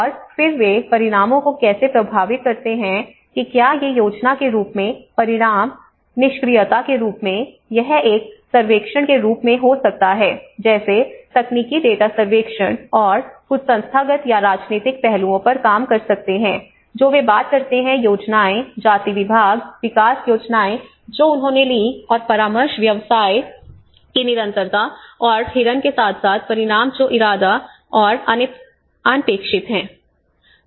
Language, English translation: Hindi, And then how they influence outcomes whether these outcomes in the form of plans, in the form of inaction, it could be in the form of a surveys like the technical data could work on the surveys and certain institutional or the political aspects they talk about the schemes, gender development schemes you know they taken, and the consultation business continuity and the buck passing as well as consequences which are intended and unintended